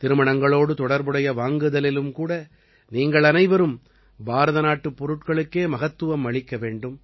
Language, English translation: Tamil, While shopping for weddings, all of you should give importance to products made in India only